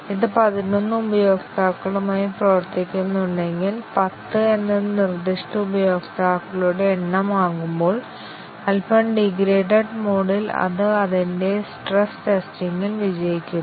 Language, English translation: Malayalam, If it is performing with eleven users, when ten is the specified number of users, in a slightly degraded mode it passes its stress testing